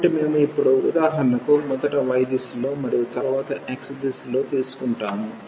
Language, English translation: Telugu, So, we will take now for example, in the direction of y first and then in the direction of x